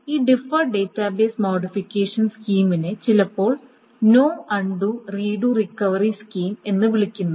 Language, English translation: Malayalam, So, this deferred database modification scheme is sometimes called a no undo but redo operation